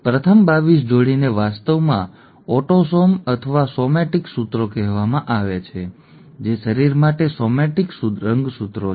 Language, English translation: Gujarati, The first 22 pairs are actually called autosomes or somatic chromosomes, somatic for body, somatic chromosomes